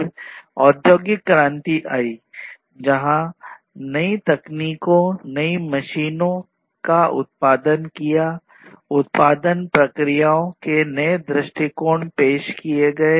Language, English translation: Hindi, Then came the industrial revolution where new technologies, new machines were produced, new approaches to the production processes were introduced